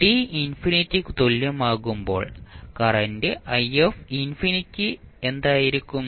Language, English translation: Malayalam, The infinity at t is equal to infinity what would be the current I infinity